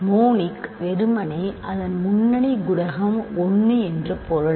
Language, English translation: Tamil, Monic simply means that its leading coefficient is 1